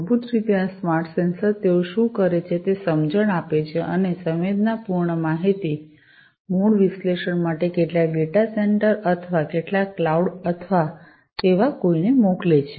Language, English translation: Gujarati, So, these smart sensors basically, what they do they send the sense and the sensed data are basically sent to some data center or some cloud or something like that for further analysis